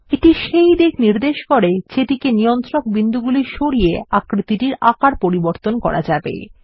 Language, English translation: Bengali, This indicates the directions in which the control point can be moved to manipulate the basic shape